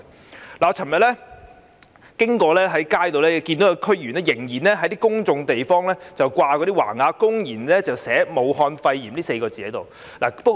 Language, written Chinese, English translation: Cantonese, 我昨天在街上經過看到有區議員仍然在公眾地方掛上橫額，公然寫"武漢肺炎 "4 個字。, Yesterday when I was walking on the streets I still saw banners of DC members hanging in public places which bear the words Wuhan Pneumonia